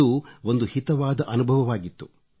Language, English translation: Kannada, It was indeed a delightful experience